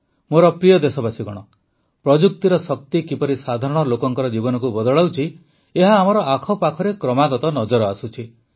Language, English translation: Odia, My dear countrymen, how the power of technology is changing the lives of ordinary people, we are constantly seeing this around us